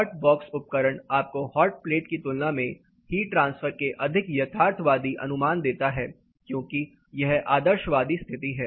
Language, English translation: Hindi, Hot box apparatus gives you more realistic estimates of heat transfer compare to hot plate, because it is more an idealistic condition